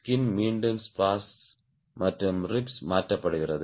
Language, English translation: Tamil, the skin is again riveted to the spars and the ribs